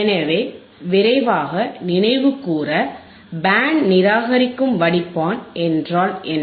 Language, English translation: Tamil, So, to quickly recall, what is band reject filter